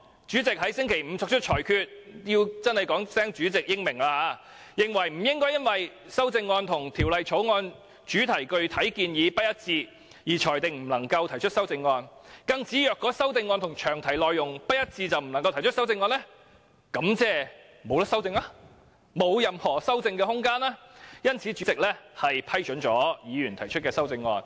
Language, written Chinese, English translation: Cantonese, 主席在星期五作出裁決——我真的要說聲"主席英明"——認為不應該因為修正案與法案詳題的特定建議不一致，便裁定不能夠提出，更指如果修正案和詳題內容不一致便不能夠提出，便意味法案沒有任何修正的空間，所以主席批准議員提出修正案。, The President ruled―and I must say wisely―on Friday that the CSA should not be ruled inadmissible only because it did not coincide with the specific proposal referred to in the long title . The President further pointed out that if the CSA was ruled inadmissible because it was inconsistent with the long title it would mean that there would virtually be no room for any amendment to the Bill . Therefore the President ruled the CSA admissible